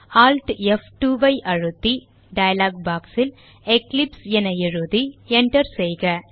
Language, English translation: Tamil, Press Alt F2 and in the dialog box, type eclipse and hit Enter